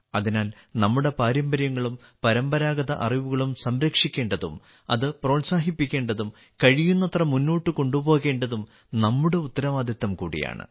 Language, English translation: Malayalam, Therefore, it is also our responsibility to preserve our traditions and traditional knowledge, to promote it and to take it forward as much as possible